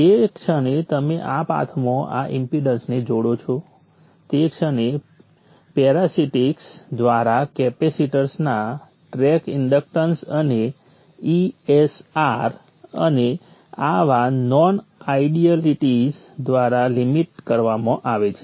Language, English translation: Gujarati, So the moment you connect this, the impedance in this path is very minimal, limited only by the parasitics, the track inductance and the ESR of the capacitors and such, such of the non idealities